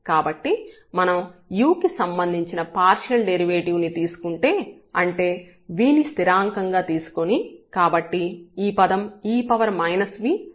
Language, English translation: Telugu, So, if we take that partial derivative with respect to u; that means, treating v as constant so, this term will be treated as constant